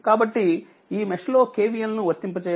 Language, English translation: Telugu, So, apply K V L in this mesh